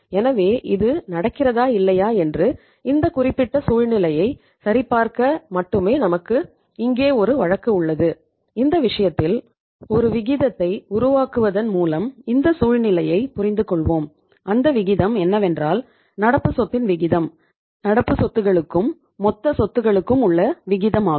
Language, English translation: Tamil, So whether it happens or it does not happen just to check this particular situation we have a case here and in this case we will start understanding this situation by working out a ratio and that ratio is the here we have to have this ratio which is given to you uh here and this ratio is the, the ratio of current asset to the ratio of current assets to total assets